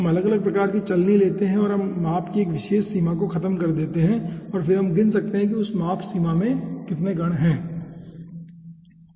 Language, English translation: Hindi, we find out and we eliminate a particular range of the size, okay, and then we can count that how many number of particles are there in that size range